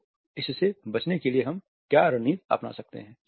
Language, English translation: Hindi, So, what strategies we can adopt to avoid distinction